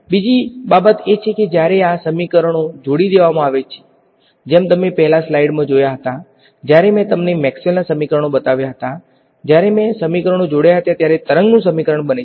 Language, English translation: Gujarati, Another thing is that when these equations are coupled as you saw in the slides before when I showed you Maxwell’s equations when I have coupled equations the equation of a wave comes out